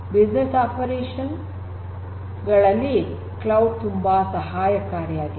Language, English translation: Kannada, For business operations cloud will be helpful